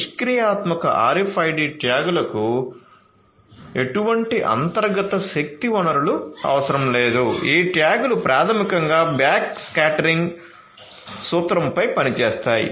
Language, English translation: Telugu, So, passive RFID tags do not require any internal power source, they these tags basically work on the principle of backscattering